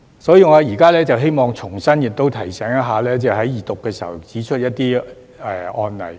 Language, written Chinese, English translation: Cantonese, 所以，我現時希望重提我在二讀時指出的一些案例。, Therefore I would now like to mention again some cases that I pointed out during the Second Reading